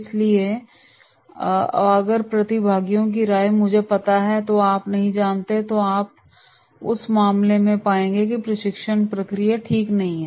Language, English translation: Hindi, So if the participants are of the opinion “I know, you do not know” so here you will find in that case there will not be the smooth training process right